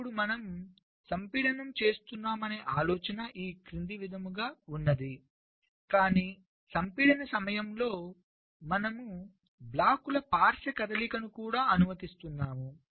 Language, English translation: Telugu, now, the idea is as follows: that we are doing compaction, but during compaction we are also allowing lateral movement of the blocks